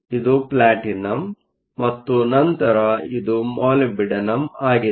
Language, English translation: Kannada, This is Platinum and then this is Molybdenum